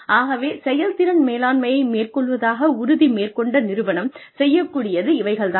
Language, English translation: Tamil, So, that is, what an organization, that is committed to performance management does